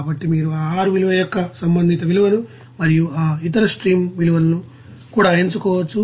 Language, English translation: Telugu, So, we can select that you know respective value of that R value and also respective for that stream other stream values